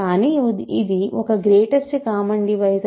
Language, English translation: Telugu, But it is greatest common divisor